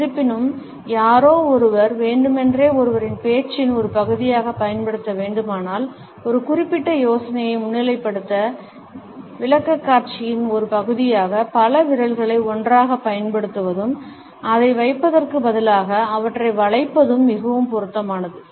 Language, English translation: Tamil, However, if somebody has to use it deliberately as a part of one’s speech, as a part of ones presentation to highlight a particular idea for example, then it would be more appropriate to use several fingers together and bending them instead of putting it in a direct jab position